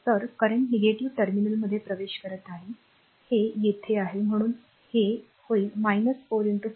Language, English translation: Marathi, So, current enter into the negative terminal, here also it is minus your therefore, this will be minus 4 into 5